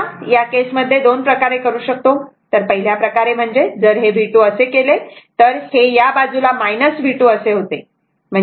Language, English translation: Marathi, So, in in this case , 2 way one way it is made if it is V 2, this side will be minus V 2 , right